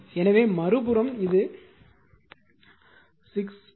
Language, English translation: Tamil, So, and same is the other side also it is 6 plus 1 plus 0